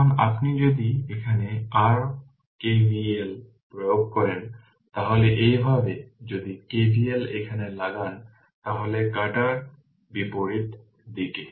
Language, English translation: Bengali, Now if you apply your KVL here like this, if you apply KVL here right anticlockwise